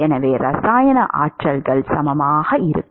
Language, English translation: Tamil, So, the chemical potentials are equal